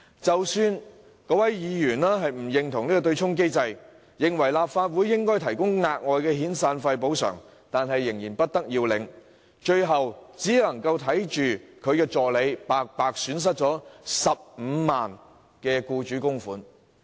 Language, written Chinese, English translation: Cantonese, 即使該名議員亦不認同對沖機制，認為立法會應該提供額外遣散費補償，但仍然不得要領，最終只能看着他的助理白白損失15萬元的僱主供款。, Even though the Member did not approve of the offsetting mechanism and considered that additional compensation in the form of severance payments should be provided by the Legislative Council he was still unable to do anything . In the end he could only watch his assistant suffer a loss of 150,000 in employers contribution for no reason